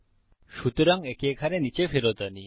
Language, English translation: Bengali, So, lets take this back down here